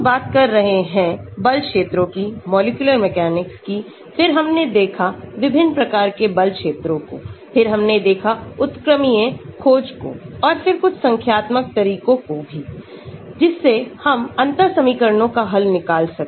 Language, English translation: Hindi, We have been talking about force fields, molecular mechanics then we looked at different types of force fields, then we looked at conformational search and then we also looked at some numerical methods for solving differential equations